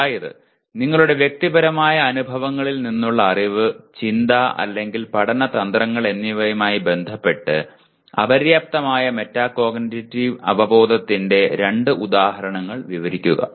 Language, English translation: Malayalam, Describe two instances of inadequate metacognitive awareness that is knowledge, thinking or learning strategies from your personal experiences